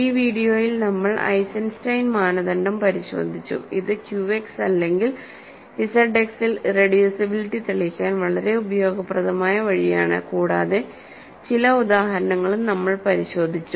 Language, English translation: Malayalam, So, in this video we looked at Eisenstein criterion which is an extremely useful technique to prove irreducibility in Q X or Z X and we also looked at some examples